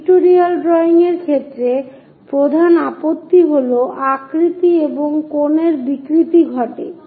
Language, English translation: Bengali, In the case of pictorial drawing, the main objection is shape and angle distortion happens